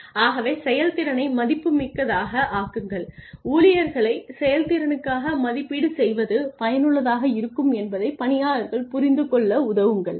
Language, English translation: Tamil, So, make the performance worthwhile make the employees help the employees understand that evaluating them for performance is helpful